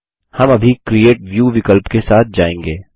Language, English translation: Hindi, We will go through the Create View option now